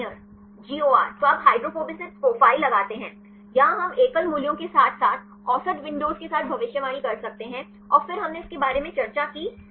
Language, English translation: Hindi, Garnier; GOR then you put the hydrophobicity profiles; here we can predict with the single values as well as with the average windows and then we discussed about the